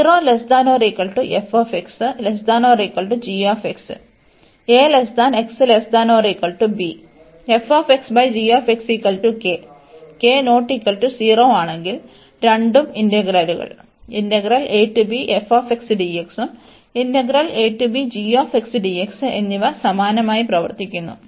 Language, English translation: Malayalam, So, if k is not equal to 0, both the integrals behave the same